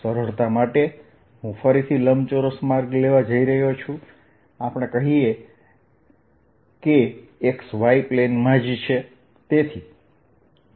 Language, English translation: Gujarati, for simplicity again, i am going to take a rectangular path, let us say in the x y plane